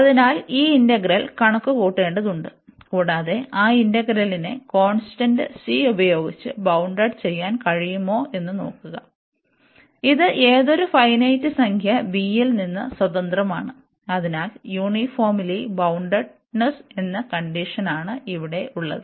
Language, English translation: Malayalam, So, meaning we have to compute this integral, and see whether we can bound that integral by some constant C, which is independent of this number b here for any finite number b if we can do that, so we have this condition uniformly boundedness